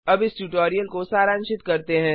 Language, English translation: Hindi, Let us now summarize the tutorial